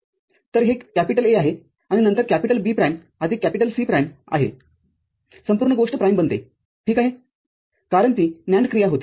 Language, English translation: Marathi, So, this is A, and then B prime plus C prime the whole thing becomes a prime ok, because it was a NAND operation